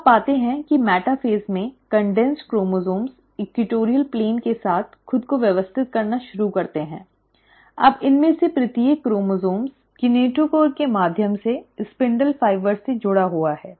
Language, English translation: Hindi, So, you find that in metaphase, the condensed chromosomes start arranging themselves along the equatorial plane, and now each of these chromosomes are connected to the spindle fibres through the kinetochore